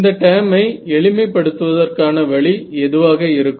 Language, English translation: Tamil, So, what would be a reasonable way to simplify this term